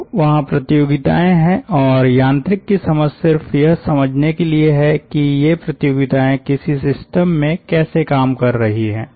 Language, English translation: Hindi, so there are competitions and the understanding of mechanics is just to understand how this competitions are working in a system